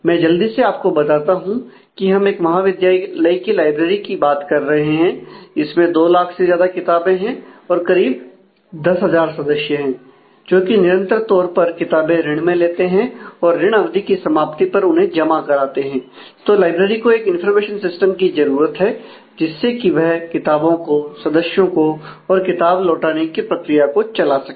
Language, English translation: Hindi, So, let me quickly go through this we are talking about an institute library that has over 2 lakh books and over 10,000 members who can use regularly issue the books on loan and return them on the expiry of the period or before that and the library needs a library information system to manage the books the members and as well as the issue return process